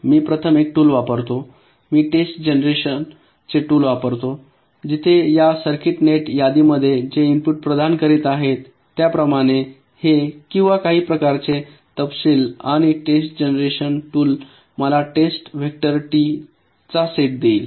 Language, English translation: Marathi, first, i use a test generation tool where, just as the input i shall be providing with this circuit net list, let say, or this, some kind of specification, as i test generation tool will give me a set of test directors, t